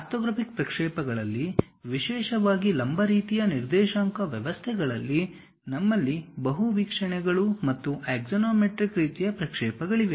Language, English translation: Kannada, In orthographic projections, especially in perpendicular kind of coordinate systems; we have multi views and axonometric kind of projections